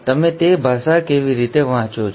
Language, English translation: Gujarati, How do you read that language